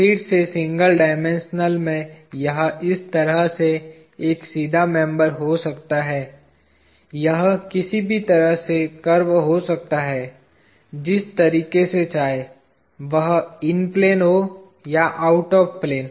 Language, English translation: Hindi, Again in single dimensional it can be a straight member like this, it can be curved in any which way you want, either in a plane or out of plane